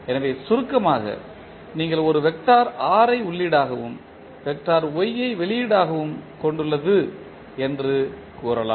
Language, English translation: Tamil, So, in short you can say that it has a vector R as an input and vector Y as an output